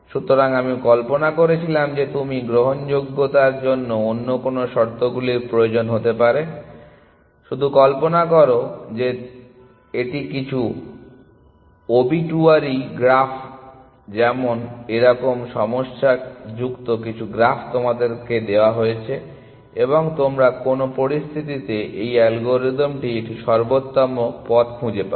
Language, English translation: Bengali, So, I wanted to think of what other conditions you can might require for admissibility, just imagine that this is some obituary graphs such problem some graph is given to you and under what conditions will you, will this algorithm find an optimal path